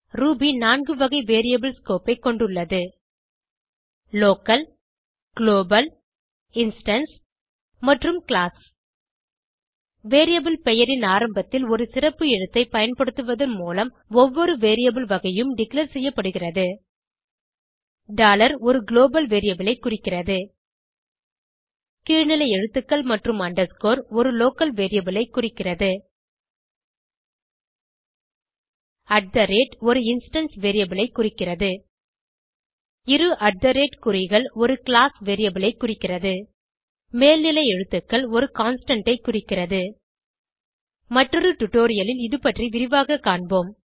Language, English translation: Tamil, Ruby has four types of variable scope: Local Global Instance and Class Each variable type is declared by using a special character at the beginning of the variable name $ represents global variable Lower case letters and underscore represents a local variable @ represents an instance variable Two @@ symbols represents a class variable Upper case letters represents a constant We will learn in detail about this in another tutorial